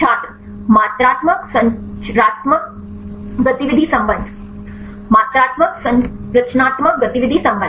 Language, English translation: Hindi, Quantitative Structural Activity Relationship Quantitative Structural Activity Relationship